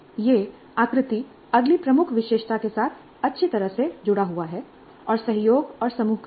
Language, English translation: Hindi, This feature ties in neatly with the next key feature which is collaboration and group work